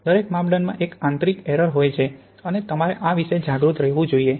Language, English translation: Gujarati, Every measurement has an intrinsic error and you have to be aware of these